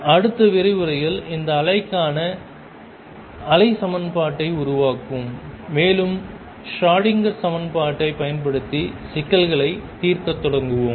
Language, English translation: Tamil, In the next lecture we will develop the wave equation for this wave, and start solving problems using the Schrodinger equation